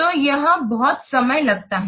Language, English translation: Hindi, So, it is very much time consuming